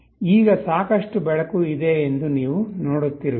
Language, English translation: Kannada, You see now there is sufficient light